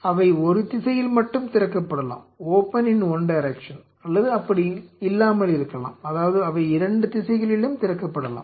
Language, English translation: Tamil, They may only open in one direction or they may not they may have both directionalities